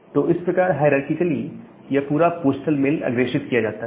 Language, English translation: Hindi, So, that way in a hierarchical way this entire postal mail is being forwarded